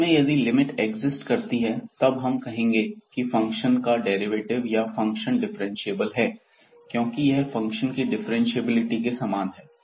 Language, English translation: Hindi, So, if this limit exists we call that the function has derivative or the function is differentiable because that was equivalent to the differentiability of the function